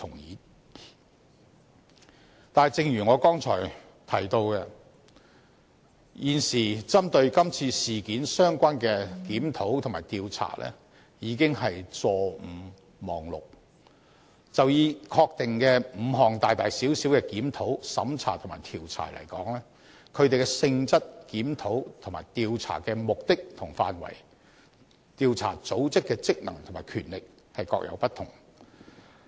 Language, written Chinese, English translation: Cantonese, 然而，正如我剛才提到，現時針對這次事件相關的檢討及調查已經是"坐五望六"，就以已確定的5項大大小小檢討、審查及調查而言，它們的性質、檢討和調查的目的及範圍、調查組織的職能和權力各有不同。, Nevertheless as I mentioned earlier there are already five or six reviews and investigations concerning this incident at present . In regard to the five reviews audits and investigations of various scales which are confirmed to be conducted the nature objective and scope of the reviews and investigations are different while the functions and jurisdictions of different investigatory organizations are also varied